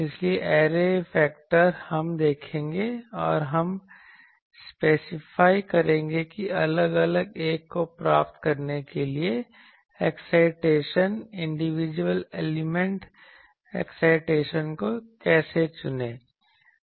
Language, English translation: Hindi, So, array factor we will see we will take the a few and we will specify how to choose the excitations, individual element excitations to achieve at a different one